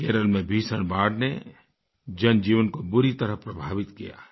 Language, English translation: Hindi, We just saw how the terrible floods in Kerala have affected human lives